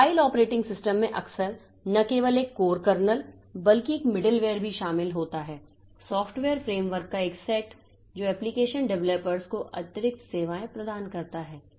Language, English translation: Hindi, Then mobile operating systems often include not only a core kernel but also a middleware, a set of software frameworks that provide additional services to application developers